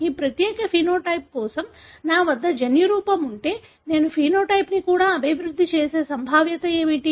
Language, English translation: Telugu, What is the probability that if I have the genotype for this particular phenotype I would develop the phenotype as well